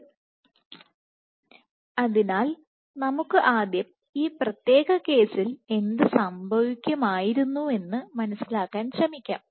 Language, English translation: Malayalam, So, let us let us first try to understand what would have happened in this particular case